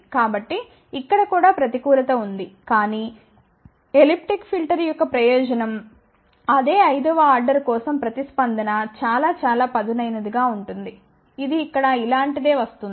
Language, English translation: Telugu, So, that means, there is a disadvantage over here also, but the advantage of the elliptic filter is for the same fifth order that response will be very, very sharp, it will come something like this here